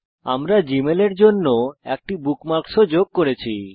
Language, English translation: Bengali, We had also added a bookmark for gmail there